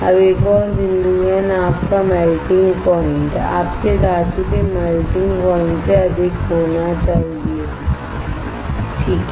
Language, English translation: Hindi, Now another point is the melting point melting point of boat should higher than melting point of your metal correct right